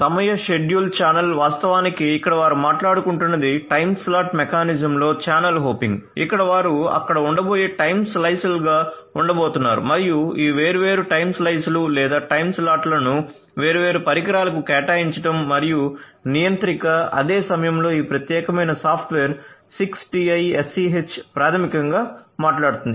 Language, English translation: Telugu, So, time schedules channel hopping here actually what they are talking about is channel hopping in a time slotted mechanism where they are going to be time slices that are going to be there and assigning these different time slices or time slots to the different devices and the controller at the same time this is what this particular 6TiSCH software defined 6TiSCH basically talks about